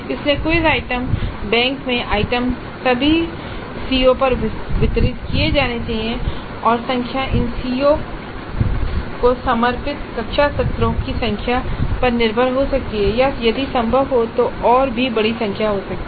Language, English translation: Hindi, So the items in the quiz item bank are to be distributed over all the Cs and the numbers can depend upon the number of classroom sessions devoted to those COs or it can be even larger number if it is possible